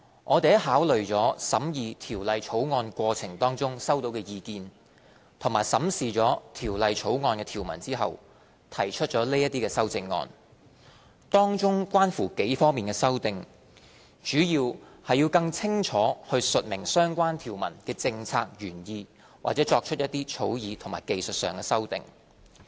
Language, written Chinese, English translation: Cantonese, 我們在考慮了審議《條例草案》過程中收到的意見，並審視了《條例草案》的條文後，提出這些修正案，當中關乎幾方面的修訂，主要是更清楚述明相關條文的政策原意或作出一些草擬或技術修訂。, These amendments to the Bill were proposed after considering the views collected in the course of the deliberation and examining the provisions . They covered several areas mainly to clearly state the policy objectives of the relevant provisions and to make some drafting or technical amendments